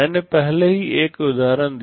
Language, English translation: Hindi, I already gave an example